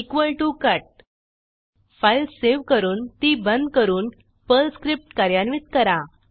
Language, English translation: Marathi, equal to cut Save the file, close it and execute the Perl script